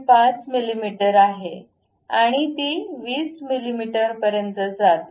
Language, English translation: Marathi, 5 mm and it goes all the way to 20 mm